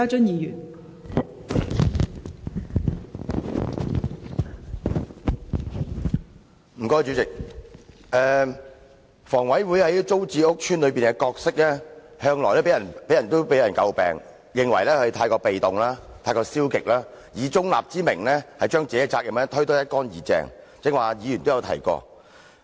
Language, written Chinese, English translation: Cantonese, 代理主席，房委會在租置屋邨的角色向來被人詬病，認為過於被動和消極，以中立之名把應承擔的責任推得一乾二淨，剛才陳議員都提過這點。, Deputy President as far as TPS estates are concerned HAs role has always been criticized as overly passive . In the name of neutrality it shirks all due responsibilities and just now Mr CHAN has also mentioned this point